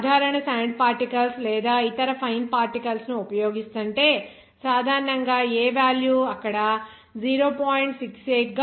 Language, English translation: Telugu, If you are using the simple sand particles or other fine particles, then generally, this A value is coming as 0